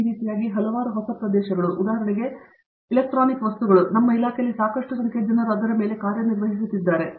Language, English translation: Kannada, Like this a number of newer areas, for example, electronic materials quite a number of people in our department are working on that